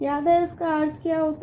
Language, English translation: Hindi, Remember what is the meaning of this